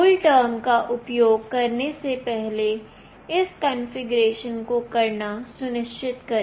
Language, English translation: Hindi, Make sure to do this configuration prior to using CoolTerm